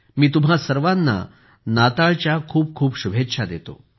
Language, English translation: Marathi, I wish you all a Merry Christmas